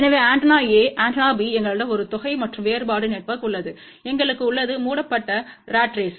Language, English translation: Tamil, So, antenna A antenna B we have a sum and difference network, and we have just covered ratrace